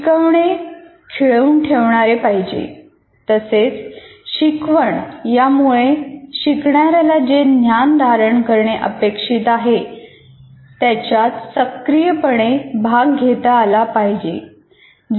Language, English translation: Marathi, That means, instruction should enable learners to actively engage with the knowledge they are expected to acquire